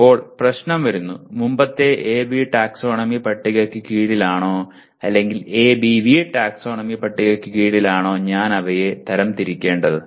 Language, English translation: Malayalam, Then the issue come, should I classify them under the earlier AB taxonomy table or ABV taxonomy table